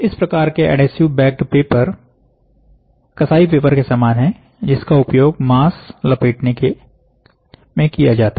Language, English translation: Hindi, This type of adhesive backed paper is similar to the butchers paper, used in wrapping meat